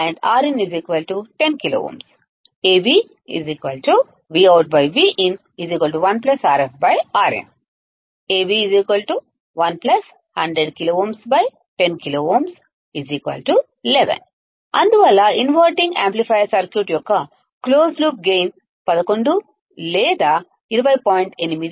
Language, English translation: Telugu, Therefore, the closed loop gain of the inverting amplifier circuit is 11 or 20